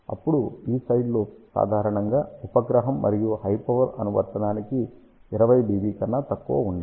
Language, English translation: Telugu, Then these side lobes generally should be less than 20 dB for satellite and high power application